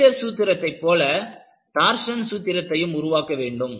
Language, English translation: Tamil, And, similar to the Flexure formula, you develop the torsion formula